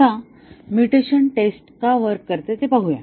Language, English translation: Marathi, Now, let see why the mutation testing works